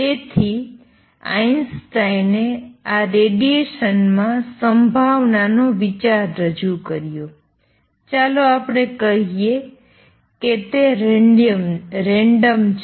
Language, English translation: Gujarati, So, Einstein introduced the idea of probability in this radiation, let us say it is random